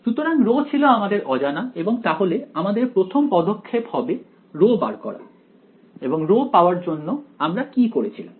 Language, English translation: Bengali, So, rho was the unknown and ah, so the first step was to find rho and to find rho what did we do